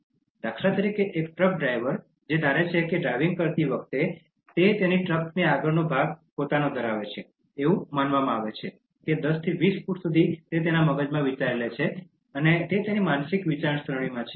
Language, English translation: Gujarati, Take for instance, a truck driver who assumes that while driving he owns the front area of his truck, it is believed that up to 10 to 20 feet he thinks that he is owning in his mind, in his psychological thinking